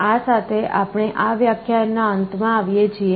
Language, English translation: Gujarati, With this we come to the end of this lecture